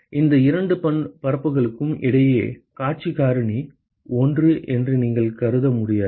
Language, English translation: Tamil, You cannot assume that view factor is one between any two surfaces